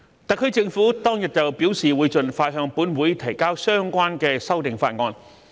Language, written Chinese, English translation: Cantonese, 特區政府當日表示會盡快向本會提交相關的修訂法案。, The SAR Government indicated on that day that it would present the relevant amendment bill to the Council as soon as possible